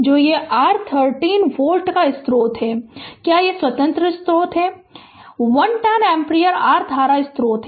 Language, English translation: Hindi, So, this is your a 30 volt source is there independent source, 110 ampere your current source is there